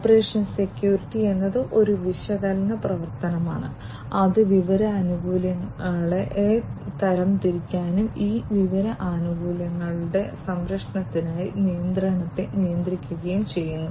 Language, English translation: Malayalam, Operation security is an analytical action, which categorizes the information benefits and for protection of these information benefits, it regulates the control